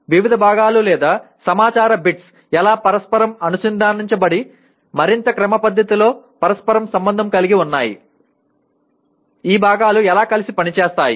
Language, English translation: Telugu, How the different parts or bits of information are interconnected and interrelated in a more systematic manner, how these parts function together